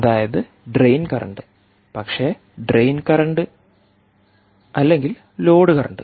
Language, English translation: Malayalam, so we will say drain current, nothing but the drain current